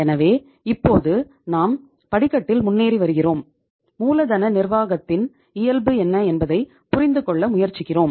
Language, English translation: Tamil, So it means now we are moving ahead on the ladder and we are trying to understand what is the nature of working capital management